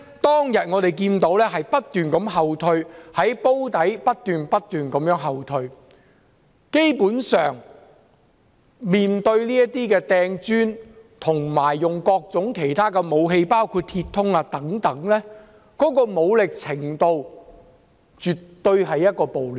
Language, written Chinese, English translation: Cantonese, 當天，我們看到警方的防線從"煲底"不斷後退，基本上，示威者擲磚及使用各種其他武器，包括鐵通等，武力程度絕對稱得上是暴亂。, On that day we saw the police cordon line retreating continuously from the Drum area . Basically protesters hurled bricks and used various other weapons including metal rods etc . The incident can definitely be classified as a riot based on the level of force